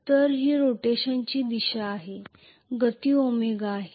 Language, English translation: Marathi, So this is the direction of rotation let us say the speed is omega,ok